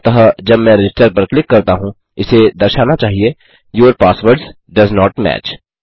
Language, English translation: Hindi, So, when I click register, it should say Your passwords does not match